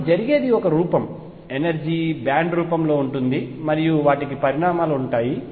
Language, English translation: Telugu, So, what happens is a form, the energy is in the form of a band and they have consequences